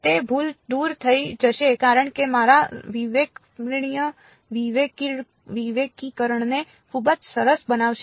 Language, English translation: Gujarati, That error will go away as a make my discretization very very fine